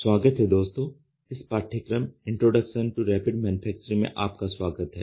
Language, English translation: Hindi, Welcome friends, welcome to the course of Introduction to Rapid Manufacturing